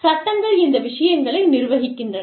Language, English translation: Tamil, And, laws govern these things